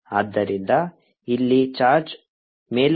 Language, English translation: Kannada, so here is the charge moving upwards